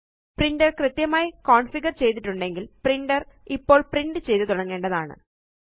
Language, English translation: Malayalam, If the printer is configured correctly, the printer should start printing now